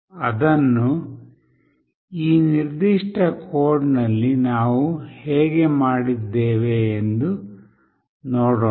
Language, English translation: Kannada, Let us see how we have done in this particular code